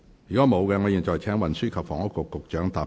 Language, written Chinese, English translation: Cantonese, 如果沒有，我現在請運輸及房屋局局長答辯。, If not I now call upon the Secretary for Transport and Housing to reply